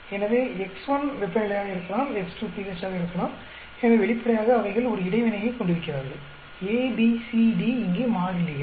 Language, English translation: Tamil, So, x1 could be temperature; x2 could be pH; so obviously they are interacting here; a, b, c, d are constants here